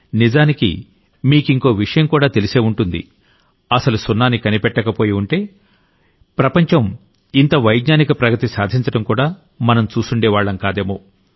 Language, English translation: Telugu, Often you will also hear that if zero was not discovered, then perhaps we would not have been able to see so much scientific progress in the world